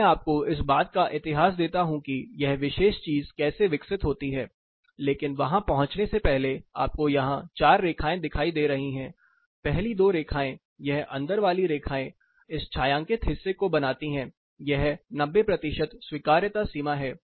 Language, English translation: Hindi, I give you the history of how this particular thing itself is developed, but before getting there you will see 4 lines here, the first two the inner set this makes the shaded portion this is 90 percent acceptability limits